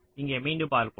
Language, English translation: Tamil, ah, lets see here again